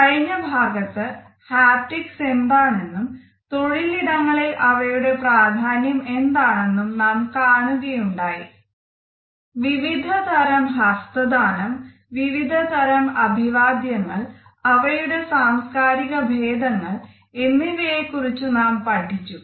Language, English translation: Malayalam, In the previous module we had looked at haptics and it is role in the workplace, we had looked at different types of handshakes, different types of greetings as well as cultural variations